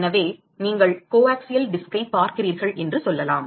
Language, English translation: Tamil, So, let us say you look at the coaxial disk